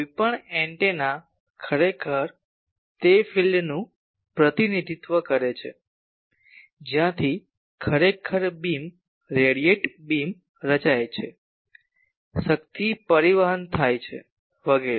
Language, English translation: Gujarati, For any antenna actually far field represent the place from where actually the beam radiated beam is formed, the power is transported etc